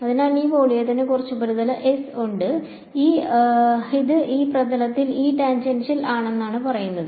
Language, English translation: Malayalam, So, this volume has some surface S, this is saying that E tangential over this surface